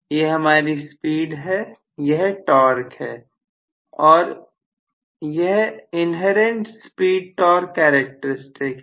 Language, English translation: Hindi, This is my speed, this is my torque, and this is the inherent speed torque characteristic